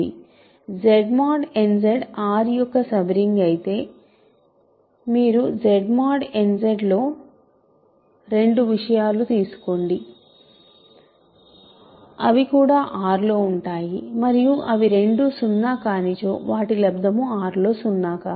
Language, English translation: Telugu, Product of two non zero things is non zero, but if R is the sub ring if Z mod n Z is the sub ring of R you take two things in Z mod n Z, they are also inside R and there if there both non zero their product is non zero in R